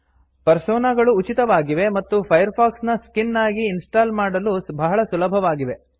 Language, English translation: Kannada, # Personas are free, easy to install skins for Firefox